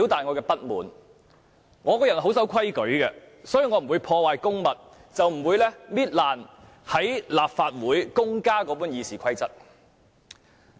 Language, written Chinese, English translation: Cantonese, 我是個很守規矩的人，所以我不會破壞公物，撕破大家在立法會共用的《議事規則》。, I am the kind of person who toes the line so I will not commit vandalism by tearing apart the share copy in the Legislative Council